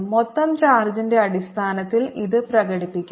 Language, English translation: Malayalam, lets express this in terms of the total charge